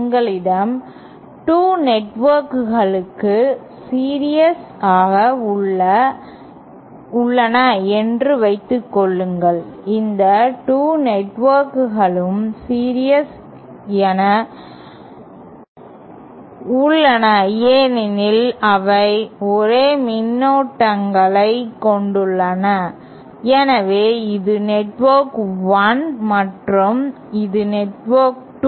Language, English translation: Tamil, Say we have 2 networks in series, I am calling these 2 networks to be in series because they have the same currents flowing through them, so this is network 1 and this is network 2